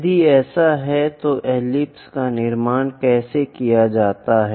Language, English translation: Hindi, If that is the case, how to construct an ellipse